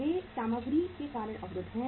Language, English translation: Hindi, They are blocked on account of material